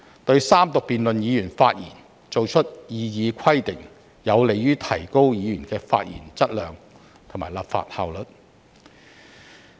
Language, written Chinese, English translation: Cantonese, 對議員在三讀階段發言作出的擬議規定，有利提高議員發言質量和立法效率。, The proposed regulation on the speeches of Members at the Third Reading debate is conducive to enhancing the quality of Members speeches and the legislative efficiency